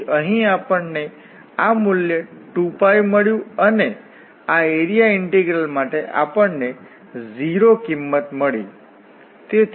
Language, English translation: Gujarati, So, here we got this value 2 Pi and for this area integral we got the value 0